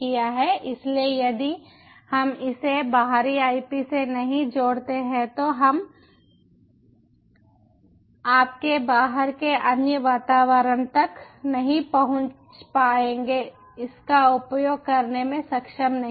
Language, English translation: Hindi, so if we dont connect it to external ip, then we wont be able to access the other other outside environment, you wont be able to access it